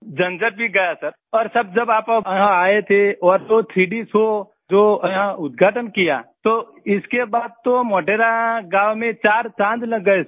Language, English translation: Hindi, The hassles are over Sir and Sir, when you had come here and that 3D show which you inaugurated here, after that the glory of Modhera village has grown manifold